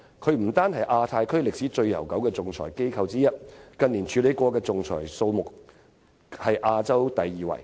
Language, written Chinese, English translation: Cantonese, 香港不單是亞太區歷史悠久的仲裁機構之一，而近年所處理的仲裁數目更是亞洲第二位。, Not only is HKIAC an arbitration institution with a very long history in the Asia - Pacific region but the number of arbitration cases it has handled in recent years also ranks second in Asia